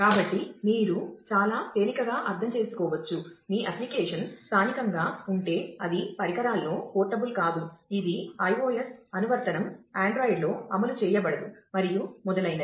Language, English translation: Telugu, So, you can very easily understand, that if your application is a native one then it is not portable across devices, this is not an iOS application is not run on android and so on